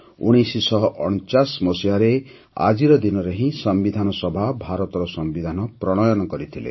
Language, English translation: Odia, It was on this very day in 1949 that the Constituent Assembly had passed and adopted the Constitution of India